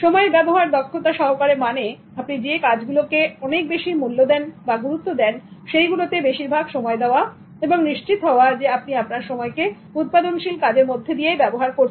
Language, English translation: Bengali, Using time efficiently implies that you make the most of your time by doing activities of high value and ensure that the time gets utilized in a productive manner